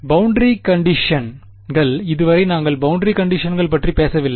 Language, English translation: Tamil, Boundary conditions, so far we have not talked about boundary conditions